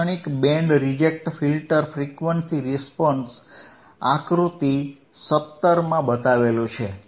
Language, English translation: Gujarati, A typical Band Reject Filter, A typical Band Reject Filter frequency response is shown in figure 17